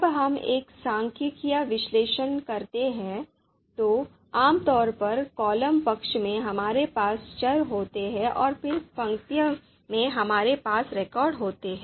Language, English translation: Hindi, When we do a statistical analysis, typically the the data that we have is, on the column side we have variables and on the row side we have records